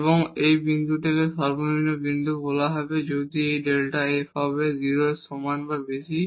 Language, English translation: Bengali, And this point will be called a point of minimum if this delta f will be greater than equal to 0